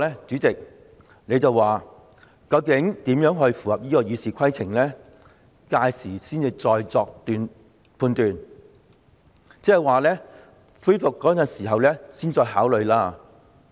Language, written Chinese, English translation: Cantonese, 主席，你已表示，究竟有關安排如何才符合該項《議事規則》，屆時才會再作判斷，即是恢復二讀辯論的時候才作考慮。, President you have already stated that a decision would be made on how the relevant arrangements could comply with RoP then at the resumption of the Second Reading debate